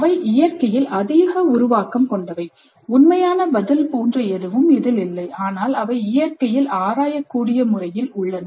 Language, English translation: Tamil, So they are more generative in nature and there is nothing like a true answer but they are exploratory in nature